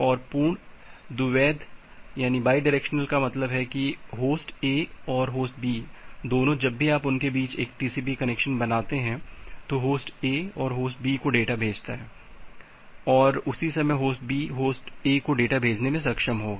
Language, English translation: Hindi, And full duplex means both host A and host B whenever you are making a TCP connection between them, host A and send data to host B and at the same time host B will be able to send data to host A